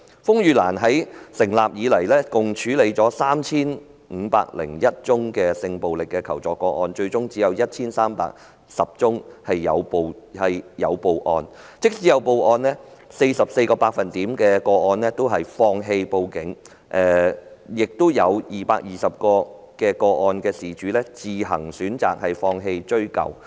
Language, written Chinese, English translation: Cantonese, 風雨蘭自成立以來，曾處理共 3,501 宗性暴力求助個案，但最終只有 1,310 宗有向警方舉報，放棄報警的佔 44%， 而有220宗個案的當事人自行選擇放棄追究。, RainLily has handled a total of 3 501 assistance - seeking cases concerning sexual violence since its establishment but only 1 310 cases have ultimately been reported to the Police . Victim of 44 % of the cases gave up reporting them to the Police while victims of 220 reported cases chose not to pursue their case